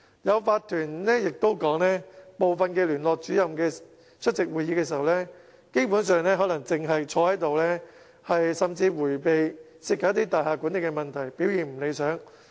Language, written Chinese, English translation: Cantonese, 有法團更指部分聯絡主任出席會議時，基本上可能光坐着，甚至迴避涉及大廈管理的問題，表現並不理想。, Some members of OCs have even said that certain Liaison Officers performance is unsatisfactory as they basically attend the meetings without any active participation and even avoid involving themselves in any issues concerning building management